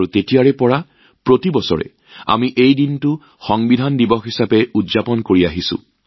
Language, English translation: Assamese, And since then, every year, we have been celebrating this day as Constitution Day